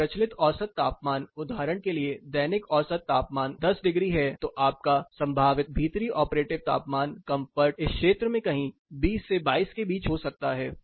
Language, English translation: Hindi, When the prevailing mean temperature for example, the daily mean temperature is 20 degrees then, 10 degrees then your probable indoor operative temperature comfort could be between 20 and 22 somewhere in this area